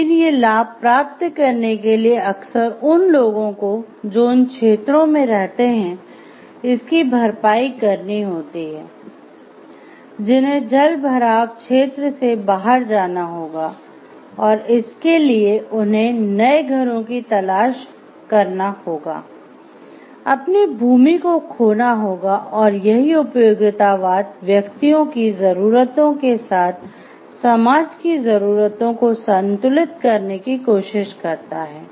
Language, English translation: Hindi, But these benefits often come at the expense of people who live in areas that will be flooded by the dam and it required to find new homes or lose the use of the land, utilitarianism tries to balance the needs of the society with the needs of the individual